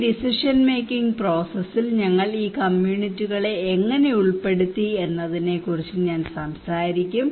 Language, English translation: Malayalam, I will talk about that how we involved these communities into this decision making process